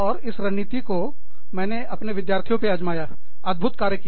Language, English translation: Hindi, And, i have tried that strategy, with my students, works wonders